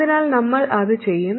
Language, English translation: Malayalam, So that is what we will do